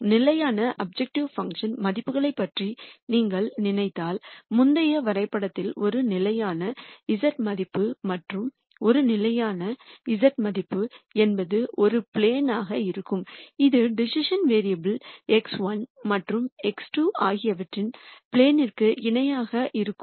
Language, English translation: Tamil, So, if you think about constant objective function values then what you think about is a constant z value in the previous graph, and a constant z value would be a plane which will be parallel to the plane of the decision variables x 1 and x 2